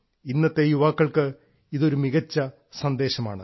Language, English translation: Malayalam, This is a significant message for today's youth